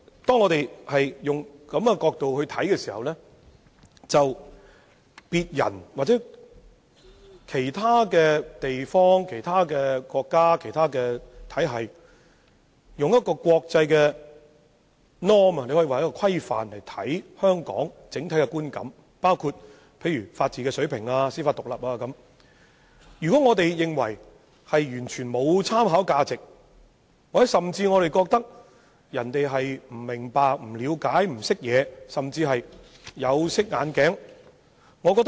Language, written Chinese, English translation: Cantonese, 當我們懷有這種看法時，對於別人或其他地方、國家、體系以國際規範對香港建立的整體觀感，包括本地的法治水平、司法獨立等，我們可能會認為完全沒有參考價值，甚至認為人們不明白、不了解、不識貨或甚至是戴了有色眼鏡。, With this kind of view we may think that Hong Kongs overall image―including its level of rule of law judicial independence etc―formed by other peoples territories countries and systems making reference to international norms is not worth consideration . We may even think that they fail to understand to see what is good because of their coloured spectacles